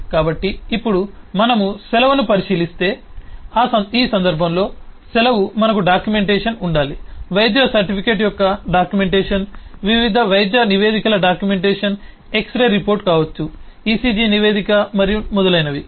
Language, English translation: Telugu, so now if we look at the leave itself, then we know that the leave, in this case we need to have the documentation, the documentation of the doctors certificate, the documentation of the different medical reports may be the x ray report, the ecg report and so on, so forth